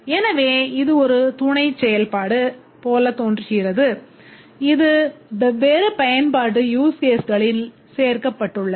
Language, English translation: Tamil, So, this appears like a sub function which is included across different huge cases